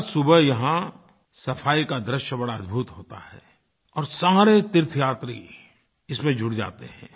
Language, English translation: Hindi, Every morning, there is a uniquely pleasant scene of cleanliness here when all devotees join in the drive